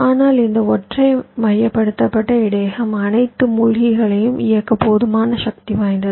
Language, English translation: Tamil, but this single centralized buffer is powerful enough to drive all the sinks